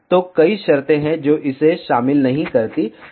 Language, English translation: Hindi, So, there are many conditions which it has not incorporated